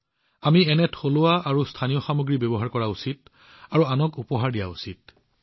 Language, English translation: Assamese, We ourselves should use such indigenous and local products and gift them to others as well